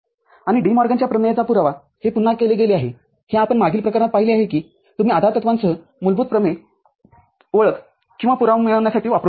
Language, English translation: Marathi, And proof of De Morgan’s theorem it is done again this is what you have seen in the previous case that you can use basic theorems also along with postulates to derive the identity and or the proof